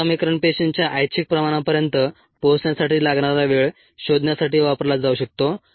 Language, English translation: Marathi, this equation can be used to find the time needed to reach a desired cell concentration